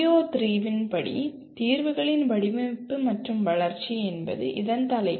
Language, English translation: Tamil, PO3 states that design, development of solutions that is the title of this